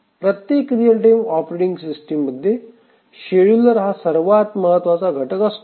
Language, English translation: Marathi, So, every real time operating system, the scheduler is a very important component